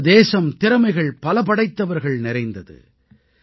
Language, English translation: Tamil, Our country is full of talented people